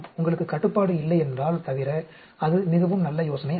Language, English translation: Tamil, That is not a very good idea unless you do not have a control